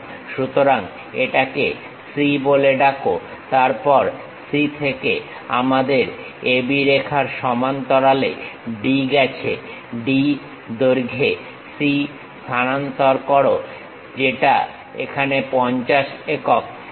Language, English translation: Bengali, So, call this one C then from C, D goes parallel to our A B line, transfer C to D length, which is 50 units here